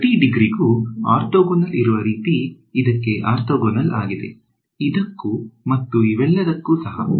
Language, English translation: Kannada, Orthogonal to every degree less than it so, it is orthogonal to this guy, this guy, this guy all of these guys